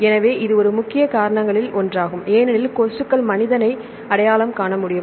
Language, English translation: Tamil, So, it is one of the major causes because the mosquitoes can recognize human